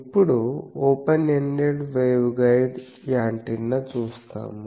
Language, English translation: Telugu, Now, we will see an Open Ended Waveguide Antenna